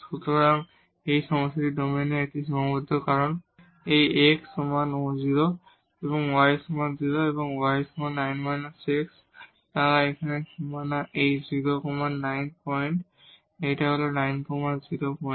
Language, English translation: Bengali, So, this is the domain of the problem the bounded domain here because these x is equal to 0 y is equal to 0 and y is equal to 9 minus x, they are the boundaries here this is 9 0 point this is 0 9 point